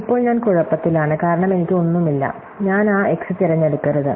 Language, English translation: Malayalam, Now, I am trouble, because I do not have anything, so maybe I should could not a pick that x